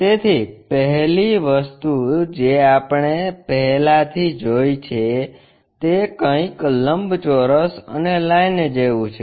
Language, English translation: Gujarati, So, the first thing we have already seen, something like a rectangle and a line